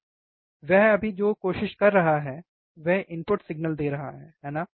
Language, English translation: Hindi, So, what he is right now trying is, he is giving a input signal, right